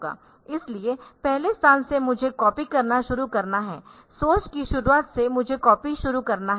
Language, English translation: Hindi, So, from the first from the first location I have to start copying from the beginning of source I have to start copy